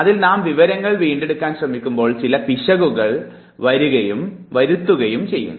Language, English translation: Malayalam, And therefore, when we try to retrieve the information we commit certain error